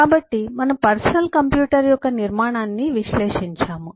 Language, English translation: Telugu, so we did eh analyze the structure of a personal computer